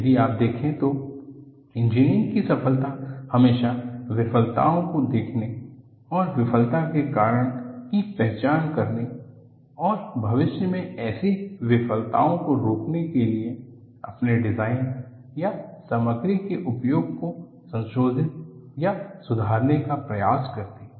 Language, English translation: Hindi, See, if you look at, success of engineering has always been in looking at failures and identify the cause for the failure and try to modify or improve your design or use of material to prevent such failures in future